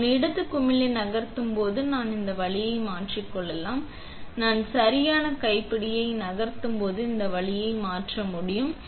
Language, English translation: Tamil, So, when I move the left knob, I can turn this way, when I move the right knob I can turn it this way